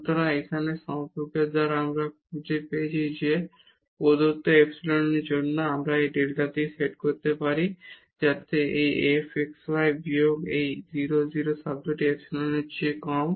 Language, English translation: Bengali, So, by this relation here we have found that for given epsilon we can set this delta so, that this f xy minus this 0 0 term is less than the epsilon